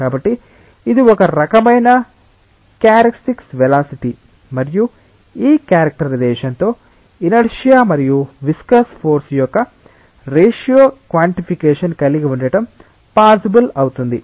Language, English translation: Telugu, So, this is a kind of characteristic velocity taken and with these characterizations, it may be possible to have a quantification of the ratio of inertia and viscous force